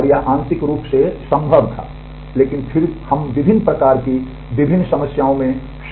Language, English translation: Hindi, And it was partly possible, but then we are getting into different other kinds of different problems